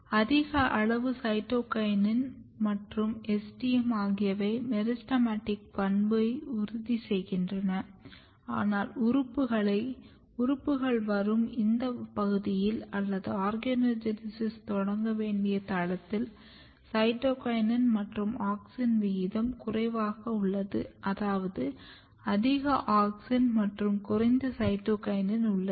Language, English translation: Tamil, So, basically high amount of cytokinin and STM they ensures meristematic property, but if you come in this region where the organs are coming or the site where organogenesis has to start what is happening here, there is low cytokinin and auxin ratio